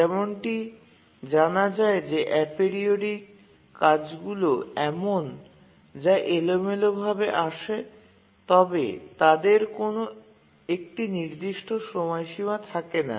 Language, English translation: Bengali, If you remember that aperiodic tasks are tasks that arrive randomly randomly but then they don't have a deadline